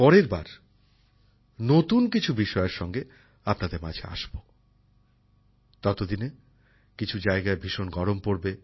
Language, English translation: Bengali, Next time I will come to you with some new topics… till then the 'heat' would have increased more in some regions